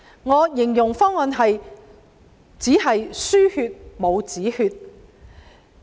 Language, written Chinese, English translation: Cantonese, 我形容方案為"只是輸血，但沒有止血"。, I described the proposal as a blood transfusion without putting a stop to the bleeding